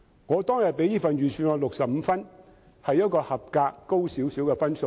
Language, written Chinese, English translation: Cantonese, 我當天給予這份預算案65分，是較合格高少許的分數。, Back then I gave this Budget 65 marks slightly higher than the passing mark